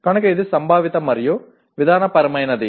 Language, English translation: Telugu, So that is conceptual and procedural